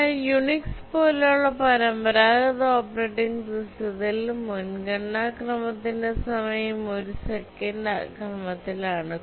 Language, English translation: Malayalam, But if you look at the traditional operating systems such as the Unix, the preemption time is of the order of a second